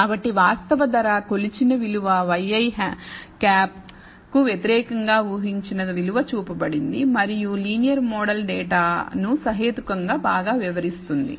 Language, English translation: Telugu, So, the actual price measured value versus the y i hat the predicted value is shown and a linear model seems to explain the data reasonably well